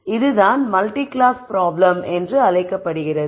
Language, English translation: Tamil, So, this is what is called a multi class problem